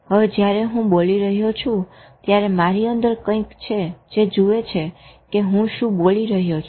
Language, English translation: Gujarati, Now when I'm speaking there is something in me which is looking at what I am speaking